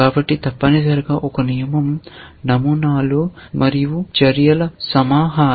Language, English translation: Telugu, So, essentially a rule is a collection of patterns and actions